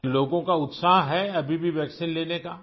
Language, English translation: Urdu, Are people still keen to get vaccinated